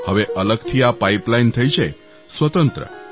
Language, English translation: Gujarati, Now an Independent pipeline has been constructed